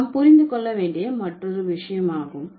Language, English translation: Tamil, So, this is another thing that I want you to understand